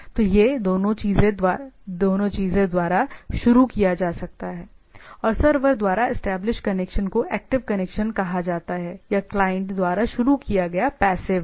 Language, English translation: Hindi, So, it can be initiated by the both the things and the connection established by the server are called active connections or the initiated by the client are passive